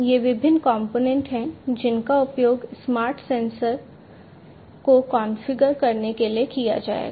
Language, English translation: Hindi, These are the different components, which will be used to configure the smart sensors